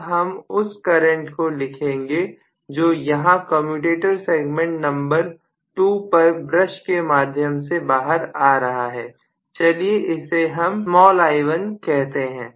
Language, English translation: Hindi, Let me write this current now what is flowing form commutator segment number 2 through the brush into the outside let me call that as some small i1 okay